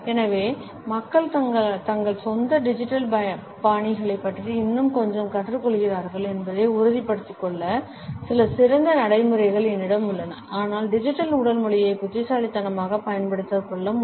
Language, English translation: Tamil, So, I have a few best practices to help people actually make sure that they are learning a little more about their own digital styles but also using digital body language intelligently